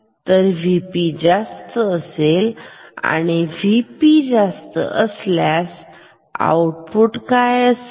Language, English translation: Marathi, So, V P is at higher value and if V P is at higher value what is the output